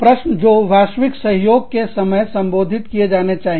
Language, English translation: Hindi, Questions to be addressed, during global collaborations